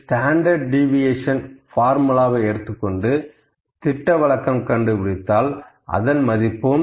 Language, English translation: Tamil, So, I pick the formula of standard deviation here and found the standard deviation value as 0